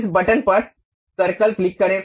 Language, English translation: Hindi, Click this button circle